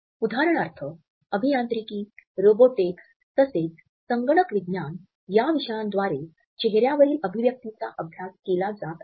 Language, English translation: Marathi, For example, disciplines like engineering, robotics, as well as computer science are studying facial expressions